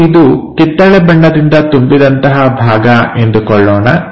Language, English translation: Kannada, Let us consider, let us consider this entirely filled by this orange one ok